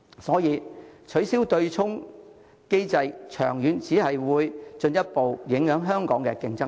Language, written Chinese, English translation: Cantonese, 所以，取消對沖機制長遠只會進一步影響香港的競爭力。, Hence an abolition of the offsetting mechanism will only further undermine Hong Kongs competitiveness in the long term